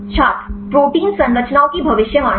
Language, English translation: Hindi, prediction of protein structures